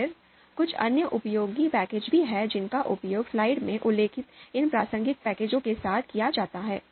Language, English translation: Hindi, Then there are other useful packages which can be used in conjunction conjunction conjunction with these relevant packages which are mentioned here in the slide itself